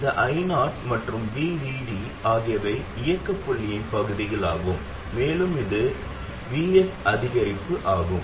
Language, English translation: Tamil, This I 0 and VD are parts of the operating point and this VS is the increment